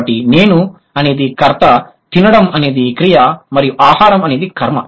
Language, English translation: Telugu, So, I is the subject, eat is the verb and food is the object